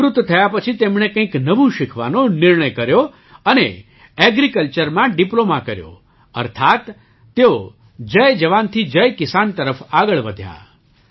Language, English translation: Gujarati, After retirement, he decided to learn something new and did a Diploma in Agriculture, that is, he moved towards Jai Jawan, Jai Kisan